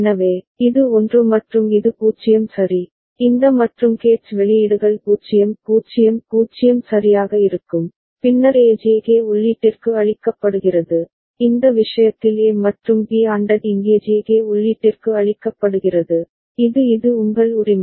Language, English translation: Tamil, So, then this is 1 and this is 0 all right and all this AND gates outputs will be 0 0 0 right, and then A is fed to J K input and in this case A and B ANDed is fed to the J K input here, this is your this is your A right